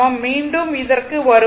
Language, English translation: Tamil, We will be back again